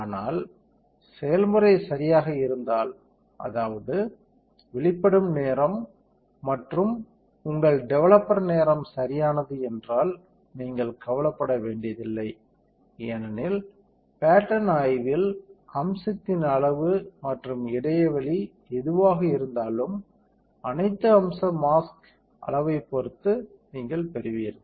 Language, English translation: Tamil, But if the recipe is correct, that means, the time of the exposure and your developer time is correct, then you do not have to worry because in the pattern inspection you will get the feature size, whatever the feature size is there and the gap as per the mask all right